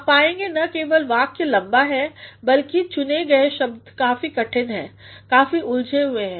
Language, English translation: Hindi, You will find the sentence is not only long, but the choice of words also is very difficult very complicated